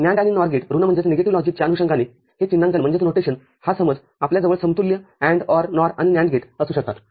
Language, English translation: Marathi, NAND and NOR gate, following negative logic this notation this understanding we can have equivalent AND, OR, NOR and NAND gates